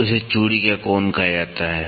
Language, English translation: Hindi, So, it is called as angle of thread